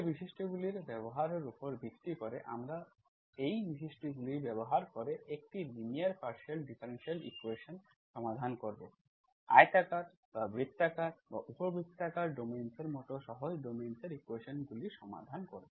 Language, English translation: Bengali, Based on using these properties, we will make use of these properties and we will solve a linear partial differential equation, equations in simpler domains such as rectangular or circular or elliptical domains